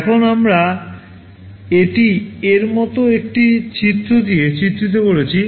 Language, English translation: Bengali, Now, this we are illustrating with a diagram like this